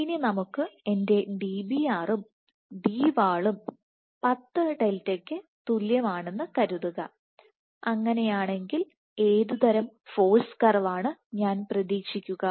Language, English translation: Malayalam, Now let us assume I have Dbr equal to Dwall equal to 10 delta what kind of a force curve may I expect